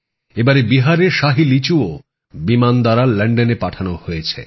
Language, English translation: Bengali, This time the Shahi Litchi of Bihar has also been sent to London by air